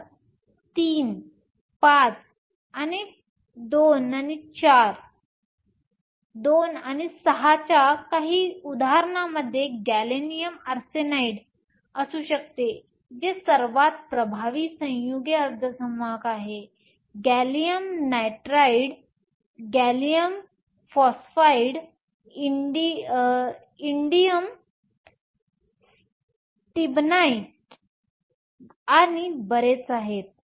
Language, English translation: Marathi, So, some examples of III V and II VI can have gallium arsenide which is the most dominant compound semiconductor; gallium nitride, gallium phosphide, indium stibnite and so on